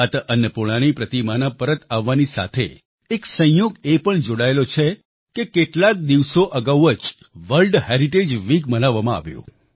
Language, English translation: Gujarati, There is a coincidence attached with the return of the idol of Mata Annapurna… World Heritage Week was celebrated only a few days ago